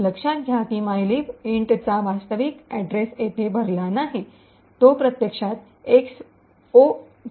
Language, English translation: Marathi, Notice that the actual address of mylib int is not filled in over here in fact it is just left is 0X0